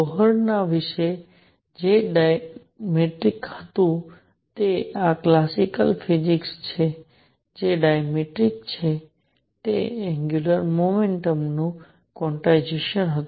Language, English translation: Gujarati, What was dramatic about Bohr’s model this is this is classical physics nothing new what is dramatic was the quantization of angular momentum